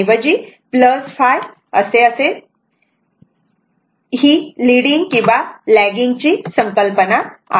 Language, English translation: Marathi, So, this is the concept for leading or lagging right